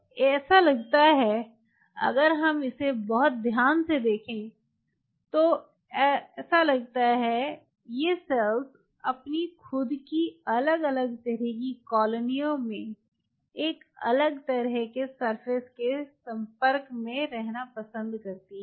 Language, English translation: Hindi, so it seems, if we look at it very carefully, its seems these cells preferred to remain in different kinds, colonies of their own with a different kind of surface interaction [vocalized noise]